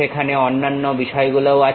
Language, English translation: Bengali, There are other things also there